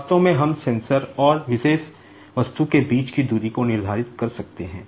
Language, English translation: Hindi, In fact, we can determine the distance between the sensor and this particular object